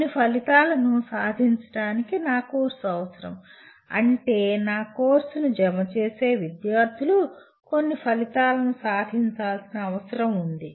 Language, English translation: Telugu, My course is required to attain certain outcomes, that is students who are crediting my course are required to attain certain outcomes